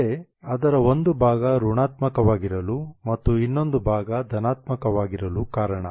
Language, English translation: Kannada, That's a reason why part of it is negative and the other part is positive